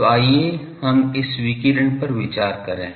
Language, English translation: Hindi, So, let us consider this radiation